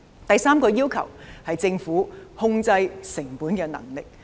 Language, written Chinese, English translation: Cantonese, 第三個要求是政府控制成本的能力。, The third request is the Governments ability to control cost